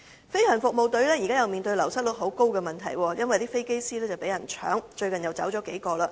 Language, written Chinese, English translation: Cantonese, 飛行服務隊現正面對流失率極高的問題，因為飛機師紛紛被挖角，最近又有數人離職。, The Government Flying Service GFS is now facing the problem of an extremely high turnover of its staff because its pilots are hot head - hunting targets and several more of them have resigned lately